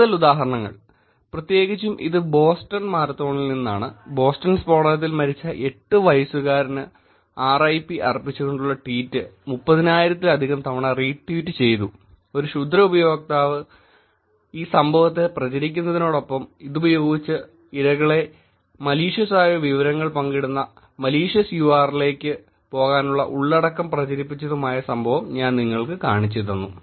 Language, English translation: Malayalam, Some more examples, particularly this is from the Boston Marathon where I showed you that a tweet which said, RIP to the 8 year old who died in Boston explosion was retweeted more than 30000 times and malicious user used this spread or occurence of an events to actually spread the content and get victims to go to malicious URL's which share malicious information